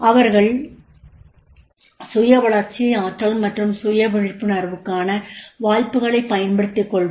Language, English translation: Tamil, Then exploits opportunities for the self development, energetic and self aware